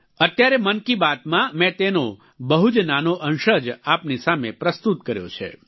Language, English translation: Gujarati, In this 'Mann Ki Baat', I have presented for you only a tiny excerpt